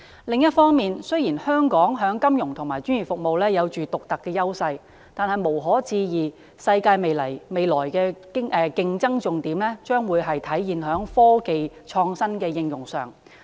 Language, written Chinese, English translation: Cantonese, 另一方面，雖然香港在金融和專業服務有獨特優勢，但無可置疑的是，世界未來的競爭重點將體現在科技的創新和應用上。, On the other hand although Hong Kong enjoys unique edges in financial and professional services it is undeniable that the future global competition will focus on the innovation and application of science and technology